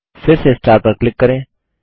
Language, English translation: Hindi, Click on the star again